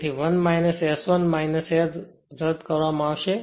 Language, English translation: Gujarati, So, 1 minus S 1 minus S will be cancelled